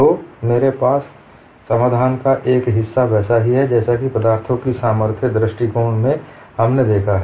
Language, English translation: Hindi, So, I have a part of the solution is same as what we have seen in the strength of materials approach